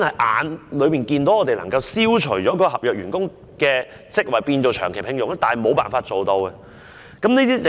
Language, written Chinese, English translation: Cantonese, 眼見當局其實可以消除合約員工的職位，把他們轉為長期聘用，但我們卻無法落實。, The authorities can actually do away with those contract posts and employ them on a permanent basis instead . Nevertheless we have still failed to achieve this